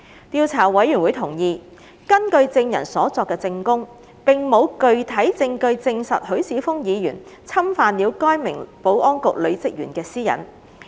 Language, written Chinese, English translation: Cantonese, 調查委員會同意，根據證人所作的證供，並無具體證據證實許智峯議員侵犯了該名保安局女職員的私隱。, The Investigation Committee agrees that there is no concrete evidence to substantiate that Mr HUI Chi - fung had infringed upon the privacy of the female officer of the Security Bureau according to the evidence given by witnesses